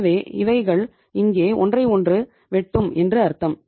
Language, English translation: Tamil, So it means they are intersecting with each other here